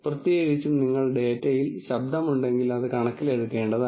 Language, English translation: Malayalam, Particularly when you have noise in the data and that has to be taken into account